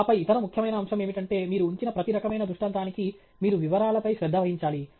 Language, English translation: Telugu, And then, the other important aspect is for every type of illustration that you put up, you have to pay attention to details